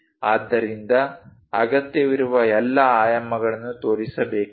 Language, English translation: Kannada, So, one has to show all the dimensions whatever required